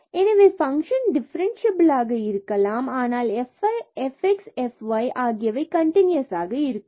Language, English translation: Tamil, So, the function may be differentiable, but the f x and f y may not be continuous